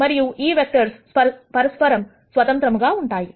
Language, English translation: Telugu, So, why do you want these vectors to be independent of each other